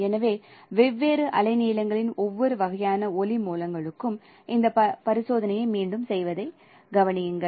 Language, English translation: Tamil, So consider repeating this experiment for every kind of light sources of different wavelengths